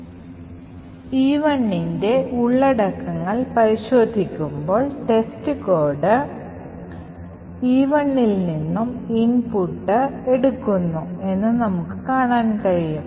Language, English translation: Malayalam, Cat E1 and we see what happens here is that test code takes the input from E1 which is 64 A's and executes